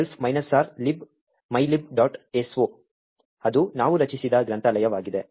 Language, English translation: Kannada, so, that is the library that we have created